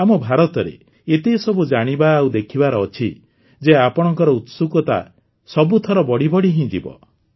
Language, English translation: Odia, There is so much to know and see in our India that your curiosity will only increase every time